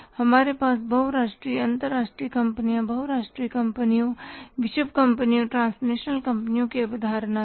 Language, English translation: Hindi, We had the concept of the multinational companies, multinational companies, world companies, transnational companies